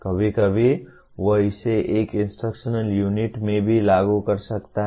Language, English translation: Hindi, Sometimes he can also apply it to an instructional unit